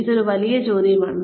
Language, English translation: Malayalam, Big big question